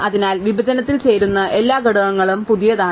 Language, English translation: Malayalam, So, every element that joins the partition is a new one